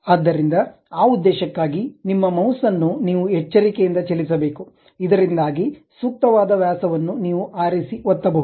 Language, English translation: Kannada, So, for that purpose, you have to carefully move your mouse, so that suitable diameter you can pick and click that